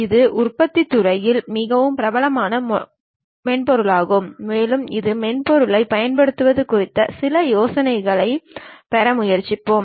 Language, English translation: Tamil, This is a quite popular software in manufacturing sector, and we will try to have some idea about this software uses also